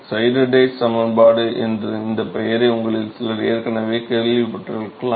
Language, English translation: Tamil, Some of you may have already heard this name Sieder Tate equation